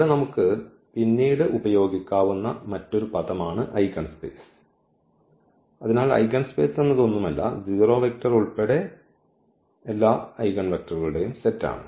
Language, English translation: Malayalam, So, another terminology here which we may use later that is eigenspace; so, eigenspace is nothing, but the set of all these eigenvectors including the 0 vector ok